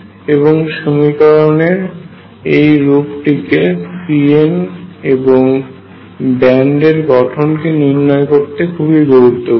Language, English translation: Bengali, And this form is useful in writing the equation for the c ns and then from that getting the band structure